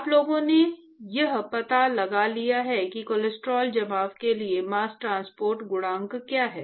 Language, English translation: Hindi, And in fact, people have actually found out what is the mass transport coefficient for cholesterol deposition